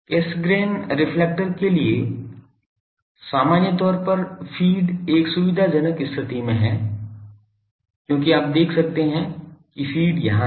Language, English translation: Hindi, In general for Cassegrain reflectors feed is in a convenient position as you can see that feed is here